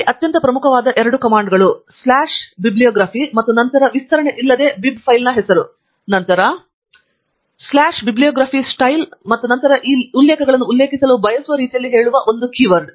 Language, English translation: Kannada, Here are the two commands that are most important: \bibliography and then the name of the bib file without the extension, and then, the \bibliography style, and then, a keyword that tells you in which way you want to cite the references